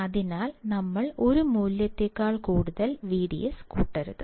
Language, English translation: Malayalam, So, we should not exceed V D S more than a value